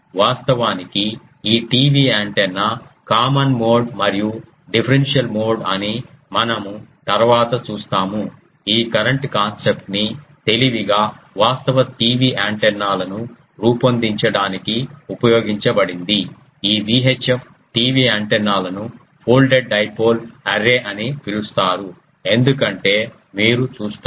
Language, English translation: Telugu, Will later see that a design actually the TV antenna was this common mode and um differential mode this current concept was cleverly used to design a actual TV antennas, this VI chip, TV antennas which is called folded dipole array because you see